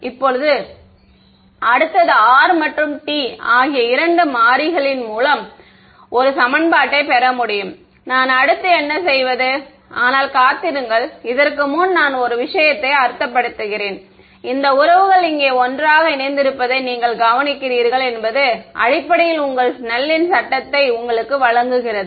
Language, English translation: Tamil, Now, next is; so, I have got one equation in two variables r and t right what do I do next, but wait I mean one thing before that you notice that this these relations over here these taken together basically give you your Snell’s law